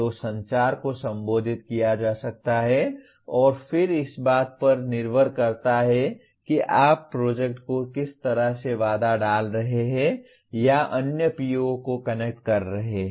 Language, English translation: Hindi, So communication can be addressed and then depending on how you are putting constraints on or orchestrating the project the other POs can connect